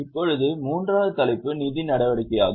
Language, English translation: Tamil, Now, the third heading is financing activity